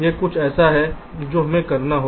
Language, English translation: Hindi, ok, this is something we have to do now